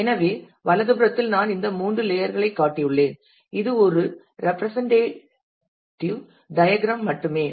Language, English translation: Tamil, So, on the right I have shown these three layers we will talk more about the this is just a representative diagram